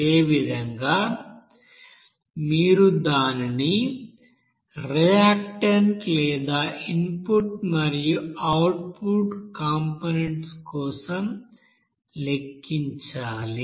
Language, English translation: Telugu, Similarly, you have to calculate it for you know, reactant or input you know components and then output components along with that